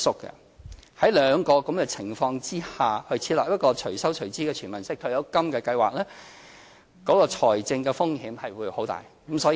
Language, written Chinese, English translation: Cantonese, 在這兩個情況下，設立"隨收隨支"的"全民式"退休金計劃，財政風險會很大。, Under these two conditions establishing an universal pension scheme with pay - as - you - go arrangement involves substantial financial risks